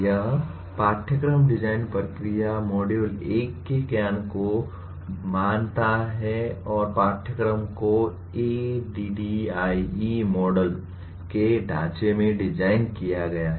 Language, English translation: Hindi, This course design process assumes the knowledge of module 1 and the course is designed in the framework of ADDIE Model